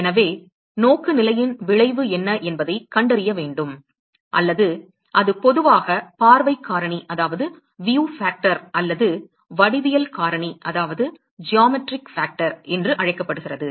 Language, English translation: Tamil, So, one needs to find out what is the effect of the orientation or that is what is generally called as view factor or geometric factor